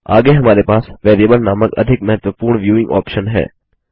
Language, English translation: Hindi, Next we have the most important viewing option called the Variable